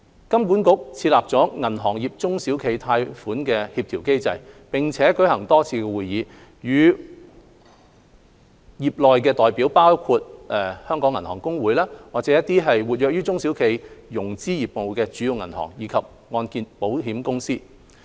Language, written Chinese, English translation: Cantonese, 金管局設立了銀行業中小企貸款協調機制，並舉行多次會議，與會代表包括香港銀行公會、活躍於中小企融資業務的主要銀行，以及按證保險公司。, HKMA has established a banking sector SME lending coordination mechanism through which representatives of the Hong Kong Association of Banks major banks active in SME lending and HKMCI have met several times